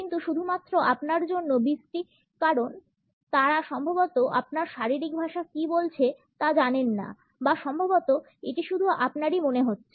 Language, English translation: Bengali, But only awkward for you because they probably do not know what your body language is saying or maybe that is just me yeah it is probably just me